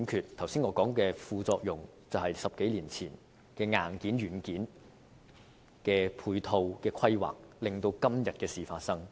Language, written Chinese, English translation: Cantonese, 我剛才所說的副作用，便是10多年前硬件和軟件的配套規劃失效所致。, The side effects that I have just talked about are the result of ineffective planning on the matching of hardware with software a decade or so ago